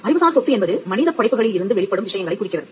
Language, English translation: Tamil, Now, intellectual property specifically refers to things that emanate from human creative labour